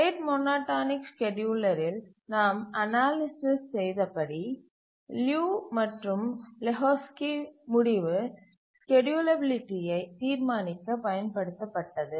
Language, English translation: Tamil, Please remember that in the rate monotonic scheduler, we are using the Liu and Lehojewski result to determine the schedulability